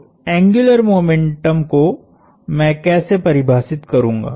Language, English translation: Hindi, So, how do I define angular momentum